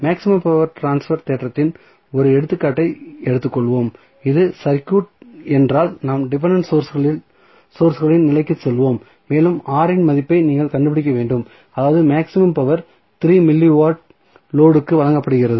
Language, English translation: Tamil, So, let us take 1 example of maximum power transfer theorem then we will go to the dependent sources condition suppose if this is the circuit and you have to find out the value of R such that the maximum power is being delivered to the load is, 3 milli watt